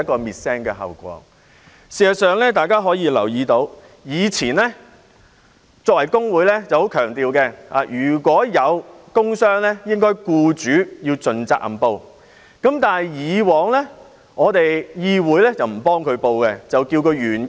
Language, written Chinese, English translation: Cantonese, 事實上，大家均留意到，工會向來強調如果有工傷個案，僱主應該盡責任申報，但議會以往不會為員工申報，需要他自行申報。, As a matter of fact we can notice that trade unions always stress that whenever there is a work injury case the employer should take the responsibility to report it . Yet the legislature would not make a report for its employees in the past and those employees had to report the case on their own